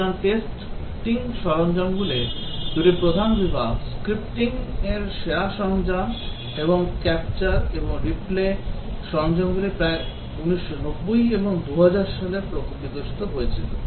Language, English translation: Bengali, So, these are the two major categories of testing tools, the scripting best tools and the capture and replay tools which evolved in the 1990 and 2000